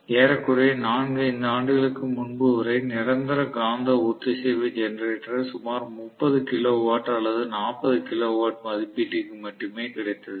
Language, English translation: Tamil, So Permanent Magnet Synchronous Generator until almost recently even before about 4 5 years ago there used to be available only for about 30 kilo watt or 40 kilo watt rating